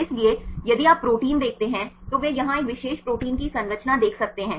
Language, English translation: Hindi, So, here if you see the protein, they can see the structure of a particular protein here